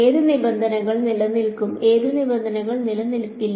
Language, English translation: Malayalam, Which terms will survive which terms may not survive